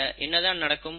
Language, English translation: Tamil, Then what will happen